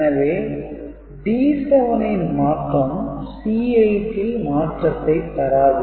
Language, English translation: Tamil, So, D 7 flipping will not affect C 8, right